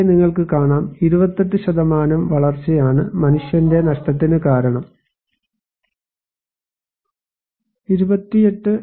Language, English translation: Malayalam, Here you can see that 28%, drought is the reason of human loss in 28%